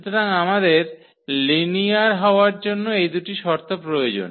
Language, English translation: Bengali, So, we have these 2 conditions required for the linearity